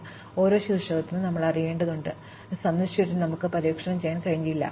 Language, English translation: Malayalam, So, for each vertex, we need to know, a, has it been visited and we may not be able to explore it as soon as it is visited